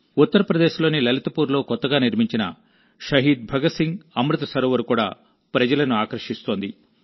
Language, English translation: Telugu, The newly constructed Shaheed Bhagat Singh Amrit Sarovar in Lalitpur, Uttar Pradesh is also drawing a lot of people